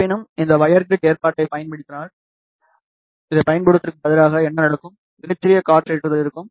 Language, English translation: Tamil, However, instead of using this if we use this wire grid arrangement, then what will happen, there will be very small wind loading